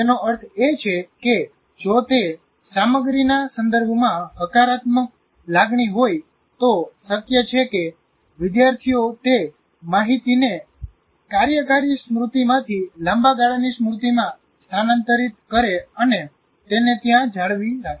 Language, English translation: Gujarati, So this is, that means if there is a positive emotion with respect to that content, it's possible that the students will transfer that information from working memory to the long term memory and retain it there